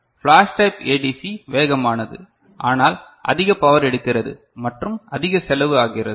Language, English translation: Tamil, Flash type ADC is fastest, but takes more power and costs more